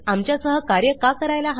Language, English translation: Marathi, Why should you work with us